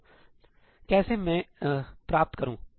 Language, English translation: Hindi, So, how do I achieve that